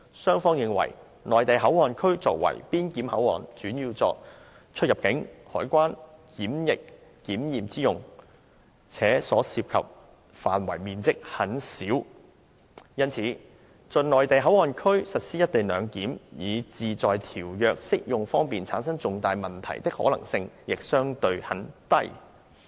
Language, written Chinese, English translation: Cantonese, 雙方認為'內地口岸區'作為邊檢口岸，主要作出入境、海關、檢疫檢驗之用，且所涉範圍面積很小，因此在'內地口岸區'實施'一地兩檢'以致在條約適用方面產生重大問題的可能性亦相對很低。, Both sides consider that the MPA as a clearance port is mainly used for the purposes of immigration customs and quarantine and the area involved is minimal . Substantial difficulties in applying international treaties due to the implementation of co - location arrangement in the MPA would be rather unlikely